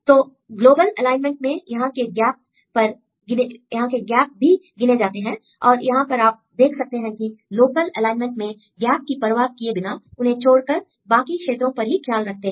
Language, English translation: Hindi, So, for the global alignment here gaps are also counted and here you can see we ignore the gaps and then see only the other regions right for local alignment